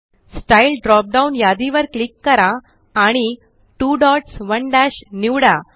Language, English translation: Marathi, Click on the Style drop down list and select 2 dots 1 dash